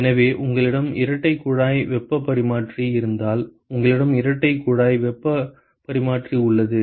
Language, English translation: Tamil, So, if you have a double pipe heat exchanger, so you have a double pipe heat exchanger